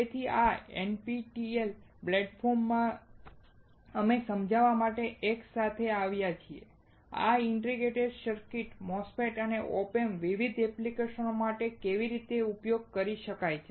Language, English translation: Gujarati, So, in this NPTEL platform, we have come together to understand, how this integrated circuits, MOSFET and OP Amps can be used for various applications